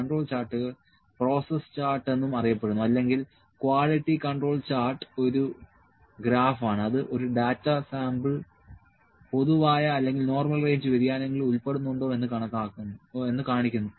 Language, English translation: Malayalam, A control chart also known as process chart or quality control chart is a graph that shows whether a sample of data falls within the common or normal range of variation